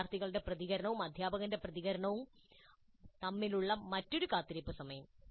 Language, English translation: Malayalam, And there is another wait time between the students' response and the teacher's response